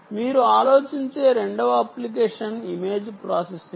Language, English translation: Telugu, second application you can think about is image processing